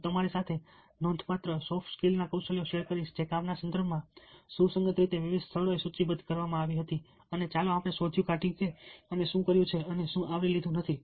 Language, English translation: Gujarati, ill share with you the significant soft skills that were listed in various places as very relevant in the context of work, and let us find out what we have done and what we have not covered